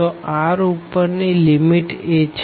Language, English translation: Gujarati, So, r the upper limit is a